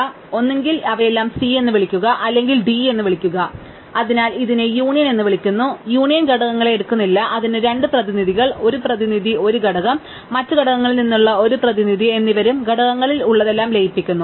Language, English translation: Malayalam, So, either call them all c or call them all d, so this is called union, union does not take the components it takes two representatives, one representative one components and one representative from the other components and themselves merge everything which is in the components of the u with everything in component v